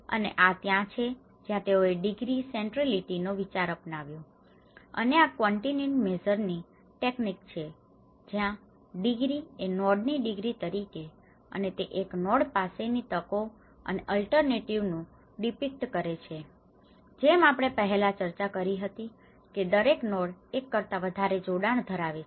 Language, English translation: Gujarati, And this is where they adopted the concept of degree centrality and this is a quantitative measure technique where the degree as a degree of a node and it depict the opportunities and alternatives that one node has, as we discussed in before also how each node has have a multiple connections